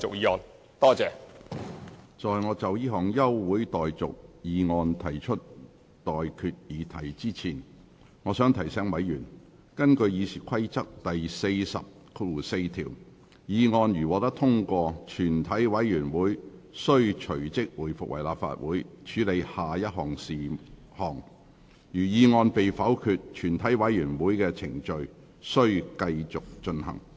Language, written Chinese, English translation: Cantonese, 在我就這項全體委員會休會待續議案提出待決議題之前，我想提醒委員，根據《議事規則》第404條，議案如獲通過，全體委員會即須回復為立法會，隨而處理下一事項；議案如被否決，全體委員會的程序即須繼續進行。, Before I put the question to you the motion for adjournment of proceedings of the committee I would like to remind Members that under Rule 404 of the Rules of Procedure if the motion is agreed to the Council shall resume and shall proceed to the next item of business; but if the motion is negatived the committee shall continue its proceedings